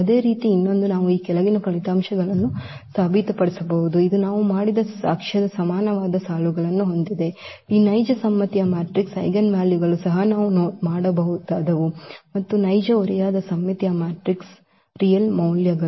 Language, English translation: Kannada, So, another similarly we can prove these following results which have the similar lines of the proof which we have just done, that the eigenvalues of this real symmetric matrix are also real that is what we can also do and the eigenvalues of real a skew symmetric matrix